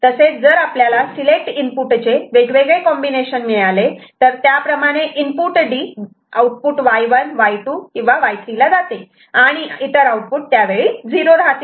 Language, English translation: Marathi, So, if we have got a different combination of the select input, so we shall have Y 1 or Y 2 or Y 3 taking the value of D, other outputs remaining 0 ok